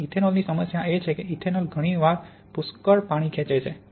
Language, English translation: Gujarati, And the problem of ethanol is that ethanol often picks up a lot of water